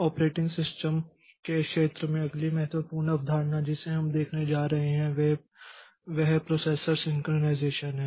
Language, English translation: Hindi, The next important concept in the field of operating system that we are going to see is process synchronization